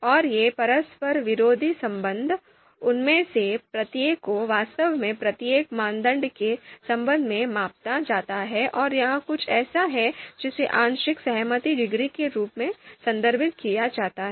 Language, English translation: Hindi, And these you know outranking relation they are actually, each of them are actually measured with respect to each criterion and this is something which is referred as partial concordance degree